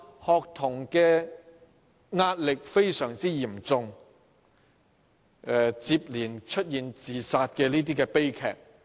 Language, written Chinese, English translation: Cantonese, 學童壓力非常沉重，接連出現自殺悲劇。, Students have been under tremendous pressure which has led to a spate of student suicide tragedies